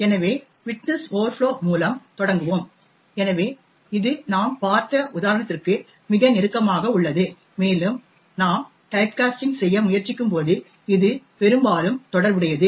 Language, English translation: Tamil, So, let us start with widthness overflow, so this is very close to the example that we have seen and it is mostly related to when we try to do typecasting